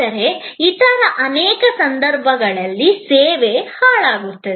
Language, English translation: Kannada, But, in many other cases, service is perishable